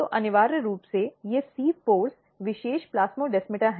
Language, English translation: Hindi, So, essentially these sieve pores are a specialized plasmodesmata